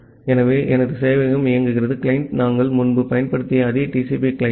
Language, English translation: Tamil, So, the my server is running and the client is the same TCP client that we used earlier